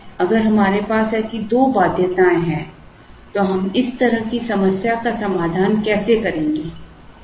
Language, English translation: Hindi, Now, if we have two such constraints then how do we solve such a problem